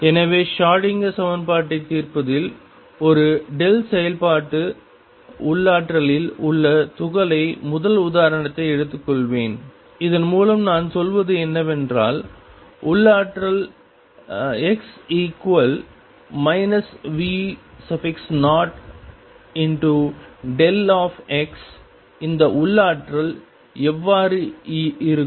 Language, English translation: Tamil, So, in solving Schrodinger equation let me take the first example of particle in a delta function potential and what I mean by that is that the potential V x is equal to minus V 0 delta of x, how does this potential look